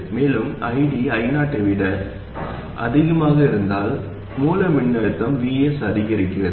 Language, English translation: Tamil, And if ID is higher than I 0, what happens is that the source voltage VS actually increases